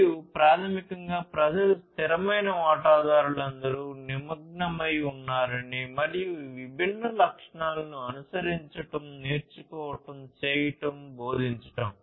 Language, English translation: Telugu, And as this name says it basically to ensure that people, the constant stakeholders are all engaged, and they should follow these different objectives learn, do, teach